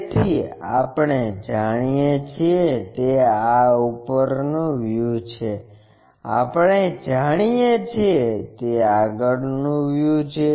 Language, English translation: Gujarati, So, what we know is this top view we know front view we know